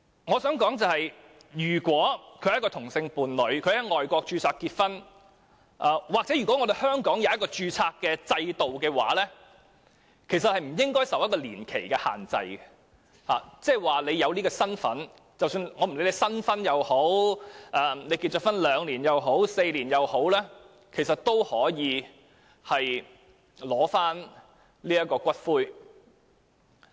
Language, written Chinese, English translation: Cantonese, 我想說，如果一對同性伴侶在外國註冊結婚，又或是香港有註冊制度讓他們結婚，其實他們不應該受到年期的限制，只要有這樣的身份，不管他們是新婚、已婚2年或4年，也應可取回骨灰。, Of course the Government has cited other ordinances as examples . My point is if a same - sex couple have registered their marriage in a foreign country or Hong Kong has a registration system allowing them to get married actually they should not be bound by any duration requirement . As long as they have such a capacity they should be allowed to collect the ashes regardless of whether they are newly - weds or have been married for two or four years